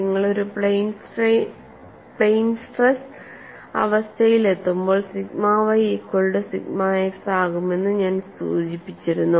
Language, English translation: Malayalam, And the moment you come to a plane stress situation, I had mention that sigma y equal to sigma x, and the other stress is what